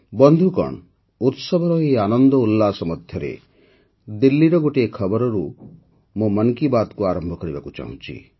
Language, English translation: Odia, Friends, amid the zeal of the festivities, I wish to commence Mann Ki Baat with a news from Delhi itself